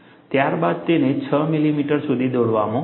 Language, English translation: Gujarati, 6 millimeter; then, it is drawn for 6 millimeter